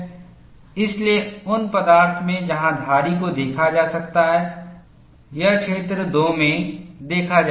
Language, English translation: Hindi, So, in those materials where striations can be seen it would be seen in the region 2